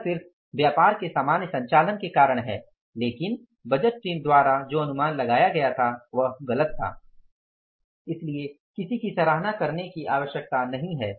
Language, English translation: Hindi, It's just because of the normal operations of the business but the estimation which was done by the budgeting team was wrong